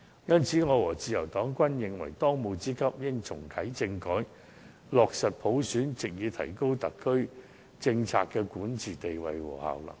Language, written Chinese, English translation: Cantonese, 因此，我和自由黨均認為，當務之急是重啟政改，落實普選，藉以提高特區政府的管治地位和效能。, So I and the Liberal Party believe that there is a pressing need to reactivate constitutional reform and implement universal suffrage so as to improve the recognition and effectiveness of the SAR Governments governance